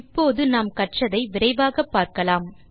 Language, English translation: Tamil, Now, lets revise quickly what we have learnt today